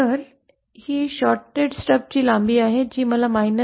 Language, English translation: Marathi, So this is the length of the shorted stub that I would need to achieve minus J 1